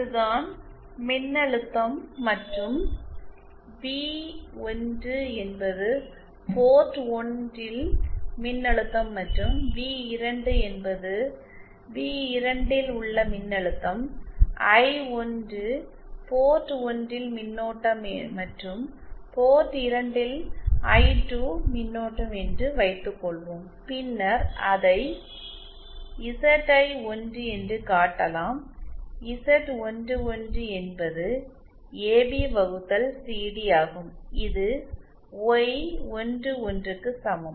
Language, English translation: Tamil, Suppose this is the this is where the voltage and v1 is the voltage at port 1 and v2 is the voltage at v2, I1 is the current at port 1 and I2 is the current at port 2, then it can be showed that ZI1, is equal to AB upon CD which is equal to Y11